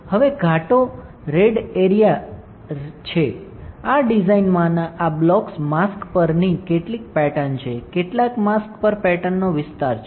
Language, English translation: Gujarati, Now, the red bold area is the red this one blocks in this design are some pattern onto the mask, some pattern area onto the mask